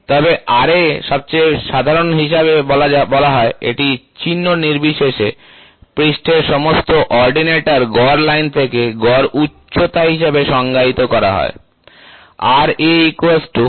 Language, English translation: Bengali, But Ra is said to be most common, it is defined as the average height from the mean line of all ordinates of the surface, regardless of the sign we try to get here